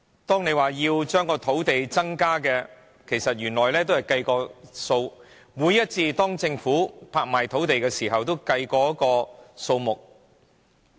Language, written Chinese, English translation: Cantonese, 政府說要增加土地供應，其實原來已經計算好，政府每一次拍賣土地前都已計好數。, It states that it will increase land supply but everything has been well calculated before each land auction